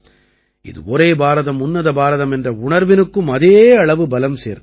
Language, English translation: Tamil, They equally strengthen the spirit of 'Ek BharatShreshtha Bharat'